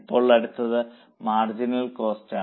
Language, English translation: Malayalam, Now, the next one is marginal cost